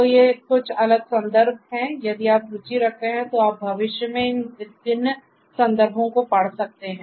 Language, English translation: Hindi, So, these are some of these different references if you are interested you can go through these different references for in the future